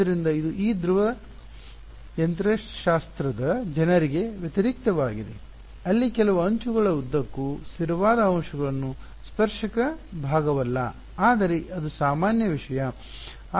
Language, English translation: Kannada, So, this is in contrast to these fluid mechanics people where there constant component along of certain edges not the tangential part, but the normal thing